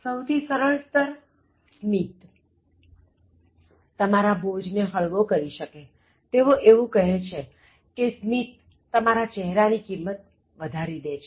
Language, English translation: Gujarati, At a very simple level, smile can reduce pressure, so as they say when you smile, they say smile, it improves your face value